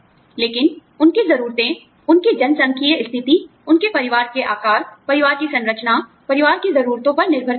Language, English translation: Hindi, But, their needs would depend, on their demographic status, their family size, family structure, family needs